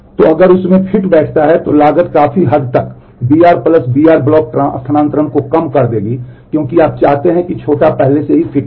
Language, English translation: Hindi, So, if it fits into that then the cost will significantly reduce to b r + b l block transfers because you want the smaller one has already fit